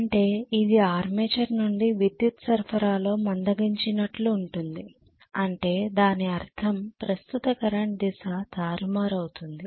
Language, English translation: Telugu, Which means it is slowing from the armature into the power supply that is what it means, the current direction is reversed